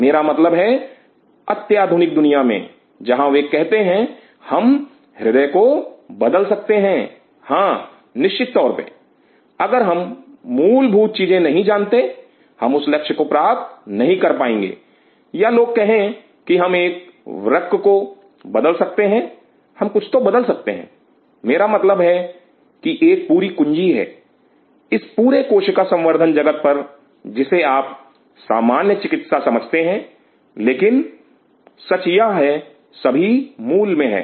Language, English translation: Hindi, I mean in futuristic world where they say we can replace the heart yeah its sure, but we do not know the basics we would not be able to achieve that goal or people say that we can replace a kidney, we can replace something I mean there is a whole password all over this tissue culture world are you know re general medicine, but the fact is this all lies in the basics